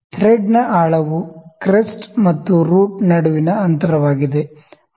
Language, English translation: Kannada, So, the depth of thread is the distance between the crest and root